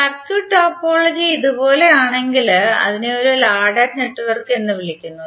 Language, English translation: Malayalam, If the circuit topology is like this it is called a ladder network